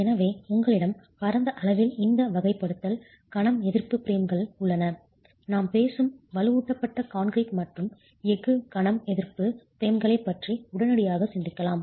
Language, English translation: Tamil, So you you have broadly this categorization, moment resisting frames, you can immediately think of reinforced concrete and steel, moment resisting frames that we are talking about, braced frame systems